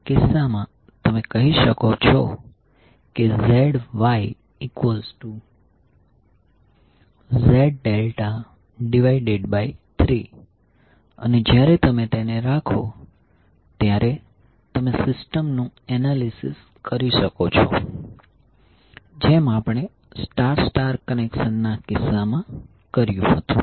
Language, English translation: Gujarati, So in that case you can say Zy is nothing but Z delta by 3 and when you put you can analyze the system as we did in case of star star connection